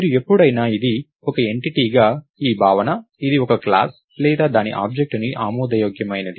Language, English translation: Telugu, so this notion of a it as an entity, it is plausible that it is a class or its an object